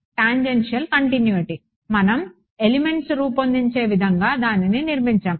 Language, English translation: Telugu, Tangential continuity; we have building it into the way we design the elements itself